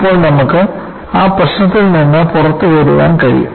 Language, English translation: Malayalam, Now, you are able to come out of that problem